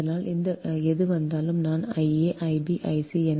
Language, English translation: Tamil, so whatever will come, i, i a, i b, i c